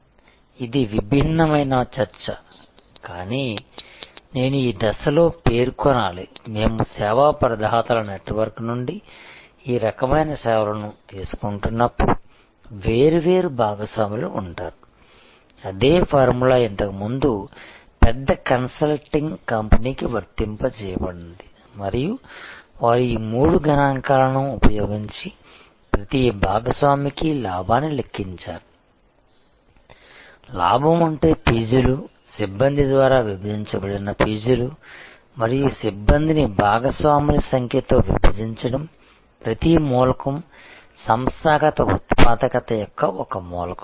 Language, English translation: Telugu, This is a different set of discussion, but I need to mention it at this stage, that when we take this kind of services from a network of service providers there will be different partners the same formula earlier applied to a large consulting company and they would have calculated the profit per partner using these three multiples; that is profit divided by fees, fees divided by staff and staff divided by number of partners as you see each element is a element of organizational productivity